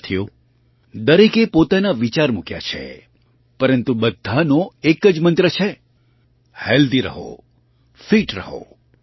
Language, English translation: Gujarati, Friends, everyone has expressed one's own views but everyone has the same mantra 'Stay Healthy, Stay Fit'